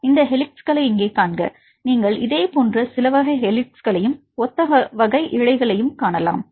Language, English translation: Tamil, See this helices here you can see some similar type of helices and the strands here similar type of strands here